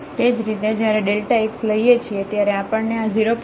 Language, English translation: Gujarati, Similarly, while taking delta x we will get this 0